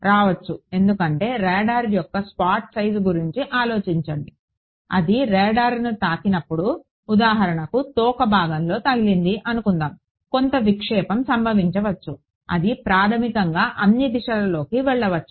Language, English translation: Telugu, There could be because think of this the spot size of the of the radar being when it hits let us say the tail finger something, some diffraction can happen it can go in basically all directions